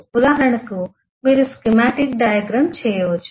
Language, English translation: Telugu, For example you could eh just do a schematic diagram